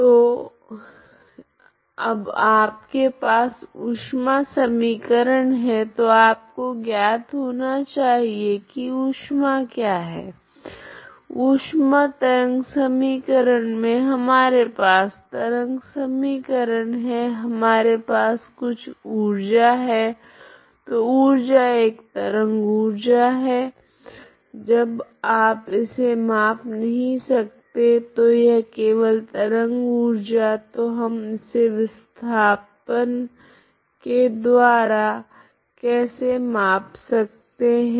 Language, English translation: Hindi, So you now heat equation so you should know what is heat, heat is basically in the wave equation we have the wave equation we have some energy, so energy is a wave energy energy you cannot quantify so it is just wave energy so how we quantify is through displacement, okay so through this displacement of a string displacement